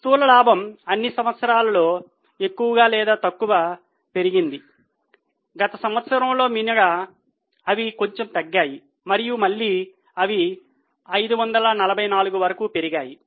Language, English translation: Telugu, The gross profits are more or less increased in all the years except in last year they decreased a bit and again they have jumped up to 544